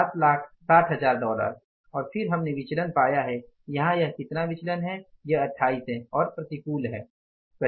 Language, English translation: Hindi, 7 160,000s and then the variance we have found out here is how much that is 28 unfavorable